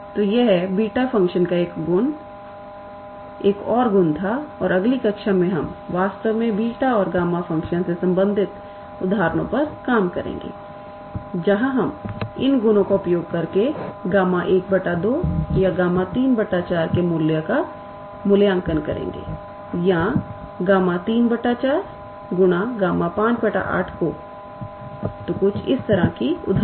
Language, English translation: Hindi, So, this was one another property of beta function and in the next class we will actually work out the examples related to beta and gamma function where we will use these properties to evaluate the value of gamma half or gamma 3 by 4 or the product of gamma 3 by 4 times gamma 5 by 8 so, examples like that